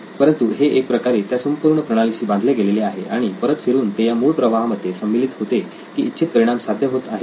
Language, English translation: Marathi, But it sort of ties back in to the whole system and then again it flows back into whether the desired results are met or not